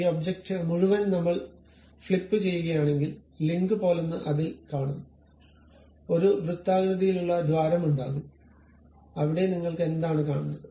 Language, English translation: Malayalam, If I flip this entire object I will see something like a link, there will be a circular hole and there is what do you see